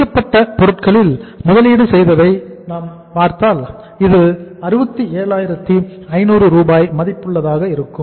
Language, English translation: Tamil, If you see the investment in the finished goods this will work out as 67,500 rupees worth of the investment you have to make in the finished goods